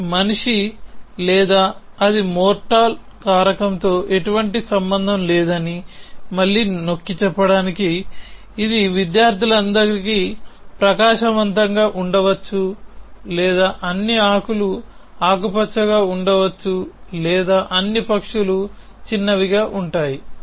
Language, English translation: Telugu, Again to emphasis the fact that it has nothing do with the factor it is man or it is mortal, it could be all students have bright or all leafs are green or all birds are small anything